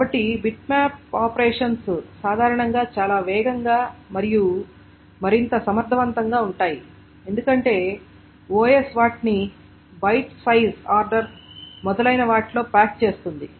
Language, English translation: Telugu, So, beat map operations are generally much faster and more efficient because the OS packs them in nice byte sized order, etc